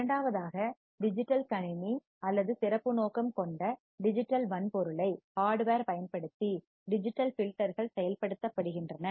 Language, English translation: Tamil, Second, digital filters are implemented using digital computer or special purpose digital hardware